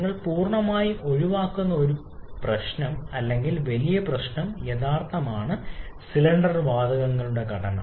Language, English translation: Malayalam, A bigger problem or bigger issue that you are completely eliminating is the actual composition of cylinder gases